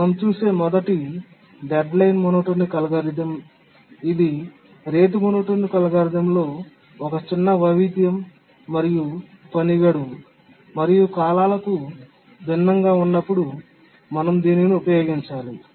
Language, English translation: Telugu, The first one we look at is the deadline monotonic algorithm, just a small variation of the rate monotonic algorithm and this we need to use when the task deadline and periods are different